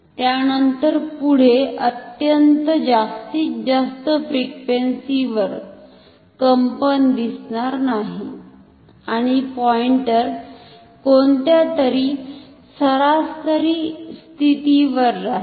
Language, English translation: Marathi, Even further even higher frequency the vibration will be invisible, and the pointer will stay at some average position